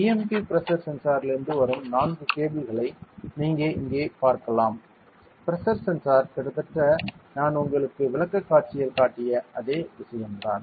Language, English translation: Tamil, You can see here and four cables are coming from the BMP pressure sensor it is the same that the pressure sensor is almost the same thing that I showed you in the presentation